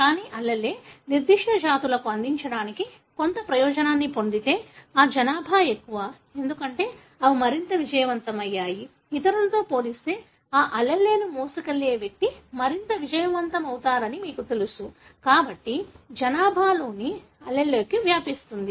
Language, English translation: Telugu, But, if the allele has got some advantage to offer to that particular species, then that over populate, because they are more successful; you know individual carrying that allele is more successful as compared to the others and therefore the allele spreads in the population